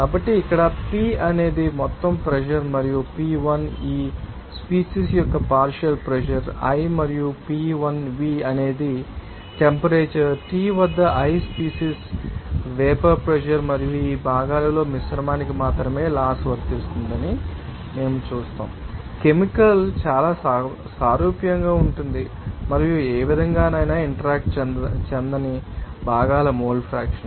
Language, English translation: Telugu, So, here P is the total pressure and pi is the partial pressure of this species i and Piv is the vapour pressure of the species i at temperature T and we will see that the law applies only to the mixture in these components are, you know, chemically very similar, and the mole fraction of the components that will you know, do not interact in any way